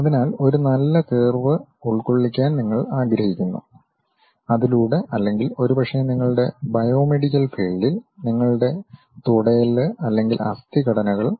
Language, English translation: Malayalam, So, you would like to really fit a nice curve, through that or perhaps you are working on biomedical field your femurs or bone structures